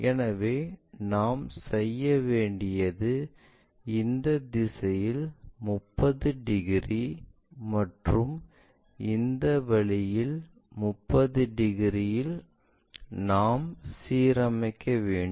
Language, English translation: Tamil, So, what we have to do is either in this direction 30 degrees or perhaps in this in this way 30 degrees we have to align